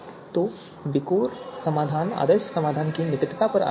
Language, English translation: Hindi, So VIKOR solution is based on closeness to the ideal solution